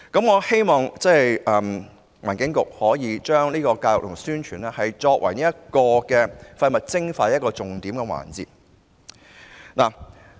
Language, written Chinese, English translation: Cantonese, 我希望環境局把宣傳教育視為廢物徵費的重點。, I hope that the Environment Bureau will regard publicity and education as the fundamentals of waste levy